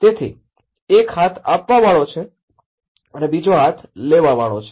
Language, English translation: Gujarati, So, one is on upper hand and one is on the taking hand